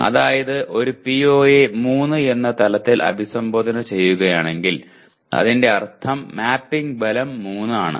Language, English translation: Malayalam, That is if a PO is to be addressed at the level of 3 that means mapping strength is 3